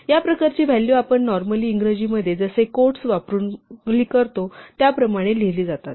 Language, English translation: Marathi, The values of this type are written as we would normally do in English using quotes